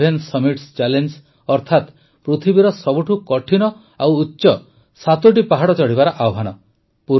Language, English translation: Odia, The seven summit challenge…that is the challenge of surmounting seven most difficult and highest mountain peaks